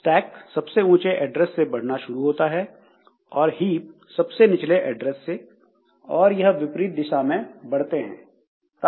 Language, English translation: Hindi, So, stack starts growing from the highest address, heap starts growing from the lowest address